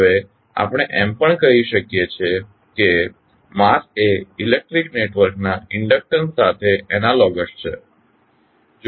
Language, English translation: Gujarati, Now, we can also say that mass is analogous to inductance of electric network